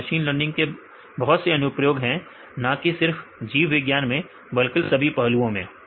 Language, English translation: Hindi, So, machine learning is wide range of applications not only in biology, in all aspects of in the system right